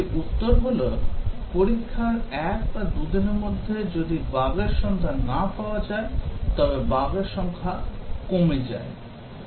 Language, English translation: Bengali, One answer is that as the number of bugs reduces if bugs are not found in a day or two of testing